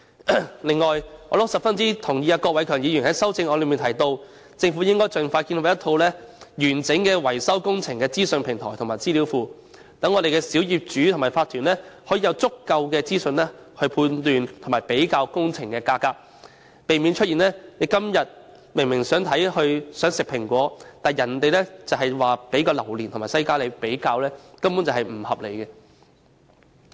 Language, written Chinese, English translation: Cantonese, 此外，我十分贊同郭偉强議員在修正案中提到政府應盡快建立一站式維修工程資訊平台及資料庫的建議，讓小業主和法團有足夠資訊判斷和比較工程價格，避免出現我們今天想吃蘋果，但卻只獲給予榴槤和西瓜作比較的不合理情況。, Furthermore I very much agree with Mr KWOK Wai - keung who proposes in his amendment that the Government should expeditiously establish a one - stop maintenance information platform and database thereby enabling small property owners and OCs to make informed judgment and comparison about project prices and avoiding the unreasonable situation in which we are only offered durians and watermelons for comparison while we actually prefer apples today